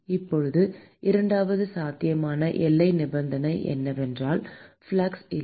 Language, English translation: Tamil, Now, the second possible boundary condition is that there is no flux